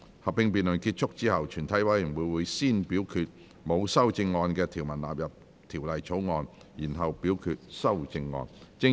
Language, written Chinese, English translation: Cantonese, 合併辯論結束後，全體委員會會先表決沒有修正案的條文納入《條例草案》，然後表決修正案。, Upon the conclusion of the joint debate the committee will first vote on the clauses with no amendment standing part of the Bill and then vote on the amendments